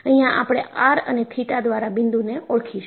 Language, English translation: Gujarati, And, we would identify a point by r and theta